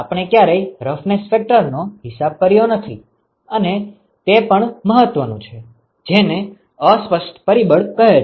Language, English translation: Gujarati, We never accounted for the roughness factor and also more importantly what is called the fouling factor